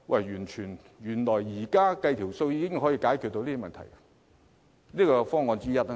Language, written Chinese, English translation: Cantonese, 原來現在計算一下已能解決問題，這是方案之一。, A simple calculation now can already solve the problem . This is one of the solutions